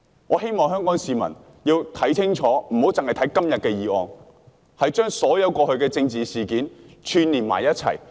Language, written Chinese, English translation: Cantonese, 我希望香港市民要看清楚，不要單看今天的議案，要將過去所有政治事件串連在一起。, I hope Hong Kong people will not only look carefully at todays motion but also piece together all the political incidents in the past